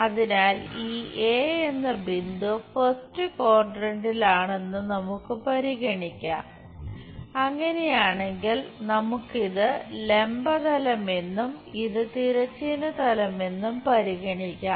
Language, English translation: Malayalam, So, let us consider this point A is in the first quadrant, if that is the case we will be having let us consider this is the vertical plane and this is the horizontal plane